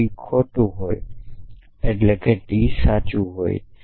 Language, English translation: Gujarati, to us if not T is false then T must be true